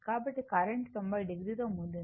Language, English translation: Telugu, So, current is leading 90 degree